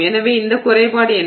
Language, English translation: Tamil, So, what is this defect